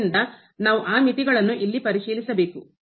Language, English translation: Kannada, So, we have to check those limits here